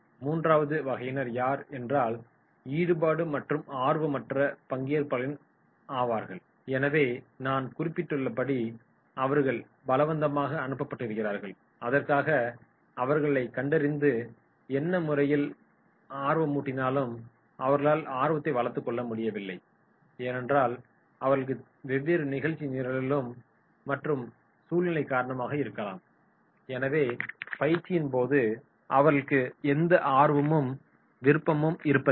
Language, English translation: Tamil, Third will be detached or disinterested, so therefore as I mentioned that is they are forcefully sent and they find for this is not relevant and anyhow they are not able to develop the interest so because of their may be different agenda or situation so therefore no interest and unwillingness will be there